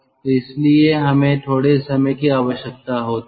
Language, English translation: Hindi, so this is the total amount of time